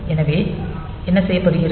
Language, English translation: Tamil, So, what is done